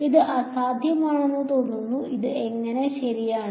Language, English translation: Malayalam, It seems impossible, how is it possible right